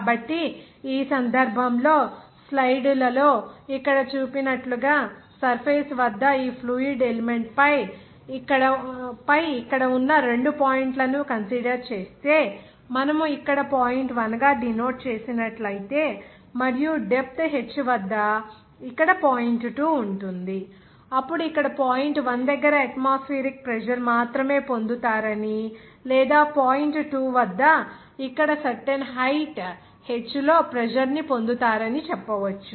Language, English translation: Telugu, So, in this case as far figure shown here in the slides, if we consider the two points here on this fluid element at the surface, you will see that if we represent here or denote here as point 1 and at a depth h the point here 2, then you can say that at the point one you will get the pressure only atmospheric pressure or as at point two you will get the pressure here at a certain height of h